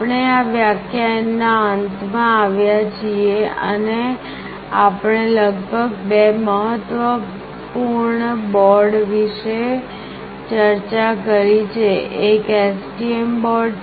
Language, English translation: Gujarati, S We have actually come to the end of this lecture and we have discussed about two important boards; one is the STM board another is Arduino UNO